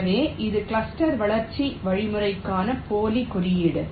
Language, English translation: Tamil, so this is the pseudo code for the cluster growth algorithm